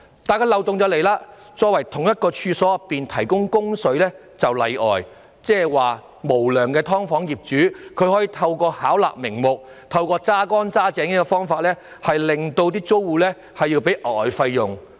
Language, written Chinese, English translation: Cantonese, 可是，漏洞卻出現了，因為同一處所的內部供水則屬例外，換言之，無良的"劏房"業主可透過巧立名目及壓榨手段，要求租戶支付額外費用。, However there is a loophole because the regulation shall not apply to a consumer of an inside service who recovers the cost of water from any occupier of the premises in which the inside service exists . In other words unscrupulous landlords of subdivided units can rack their brains for excuses to extract every cent from their tenants by charging additional fees